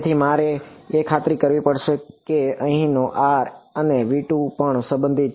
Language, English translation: Gujarati, So, I have to make sure that r over here also belong to v 2